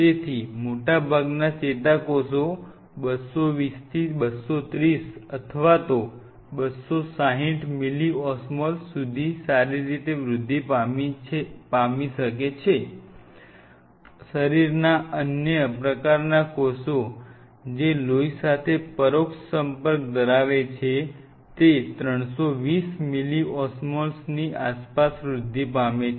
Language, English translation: Gujarati, So, most of the neurons grows better between 2 hun 220 to 230 or even up to 260 milliosmoles, as against the other cell types of the body which are indirect contact with the blood which are around 320 milliosmoles